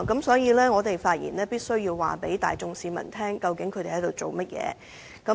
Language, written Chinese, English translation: Cantonese, 所以，我要發言告知大眾市民，究竟這些議員正在做甚麼。, Hence I have to speak and tell the general public what they are doing